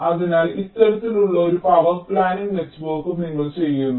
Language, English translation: Malayalam, ok, so this kind of a power planning network also you do